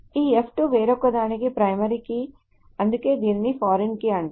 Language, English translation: Telugu, So this F2 is a primary key of something else